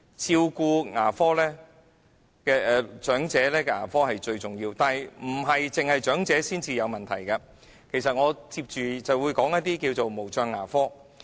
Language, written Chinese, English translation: Cantonese, 照顧長者的牙科服務是最重要的，但當然不單是長者才有問題，接下來我便會談談無障牙科。, It is crucially important to provide dental service to the elderly but of course it is not just the elderly who have problems . Next I will talk about special care dentistry